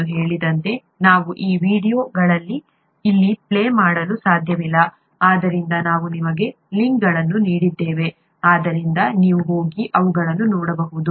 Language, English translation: Kannada, As I mentioned, we cannot play these videos here, therefore we have given you the links so that you can go and take a look at them